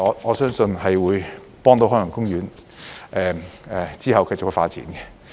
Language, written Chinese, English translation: Cantonese, 我相信這方面有助海洋公園往後繼續發展。, I believe these efforts will be conducive to the future development of Ocean Park